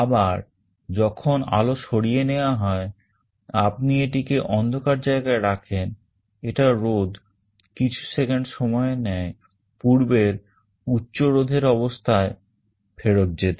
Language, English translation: Bengali, And when light is withdrawn again you put it in a dark place, then it can take a couple of seconds for the resistance to go back to that high resistance state